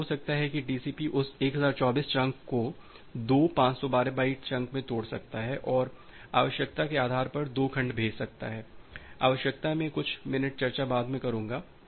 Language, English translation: Hindi, It may happened that, the TCP may break that 1024 chunk into two 512 byte chunk, and send 2 segments based on the need the need, I will discuss a couple of minute later